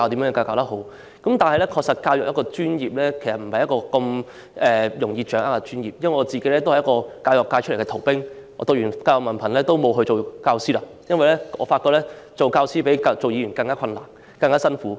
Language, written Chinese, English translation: Cantonese, 不過，教育的確是一個不容易掌握的專業，我也是一個教育界的逃兵，修讀完教育文憑後沒有當教師，因為我發覺當教師比當議員更困難和辛苦。, Nevertheless teaching is a profession which is not easy to master . I was an escapee from the education sector . I did not become a teacher after completing a diploma course in Education because I realized that working as a teacher would be more difficult and it would require greater efforts than working as a Member of the Legislative Council